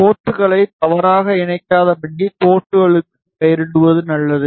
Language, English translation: Tamil, It is better that we name the ports so that we donot connect ports wrongly